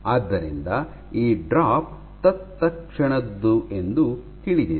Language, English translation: Kannada, So, that is why this drop is instantaneous